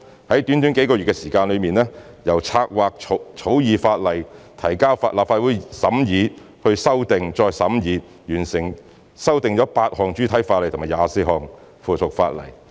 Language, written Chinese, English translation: Cantonese, 在短短幾個月的時間，由策劃、草擬法例、提交立法會審議、作出修訂、再審議，最後修訂了8項主體法例和24項附屬法例。, In a few months time starting from the planning and drafting of the Bill then the introduction to Legislative Council for scrutiny followed by amendments for further scrutiny we managed to amend 8 pieces of primary legislation and 24 pieces of subsidiary legislation at last